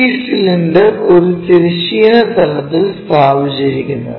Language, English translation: Malayalam, Now, this cylinder is placed on horizontal plane